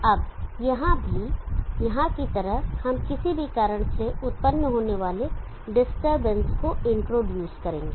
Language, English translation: Hindi, 5 also now here also like here we will introduce the disturbance the disturbance that occur due to whatever there is the reason